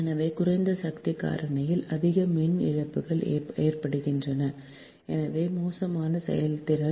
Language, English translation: Tamil, so more power losses incur at low power factor and hence poor efficiency